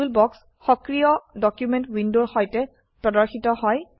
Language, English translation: Assamese, Toolbox is displayed along with the active document window